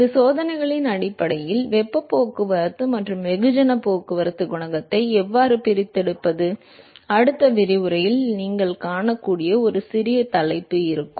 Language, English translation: Tamil, And based on these experiments, how to extract the heat transport and mass transport coefficient, and there will be a small topic which you will seen in the next lecture